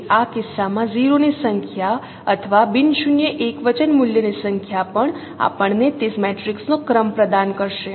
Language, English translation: Gujarati, So in this case and number of 0s or number of non zero singular value will also provide us the rank of that matrix